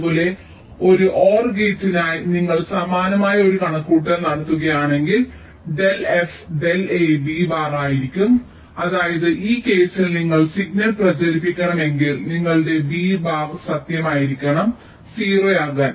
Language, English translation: Malayalam, so if you do a similar calculation, you will find that del f del a will be b bar, which means for this case, if you want to propagate the signal your b has, b bar has to be true, that mean b has to be zero